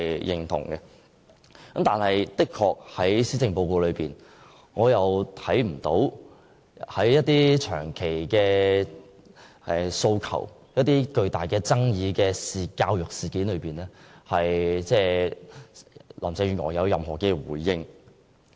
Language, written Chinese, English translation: Cantonese, 然而，林鄭月娥的施政報告中，對一些長期訴求及極具爭議的教育事件，卻未有任何回應。, However Mrs Carrie LAM gives no response to some long - standing demands and controversial educational issues in the Policy Address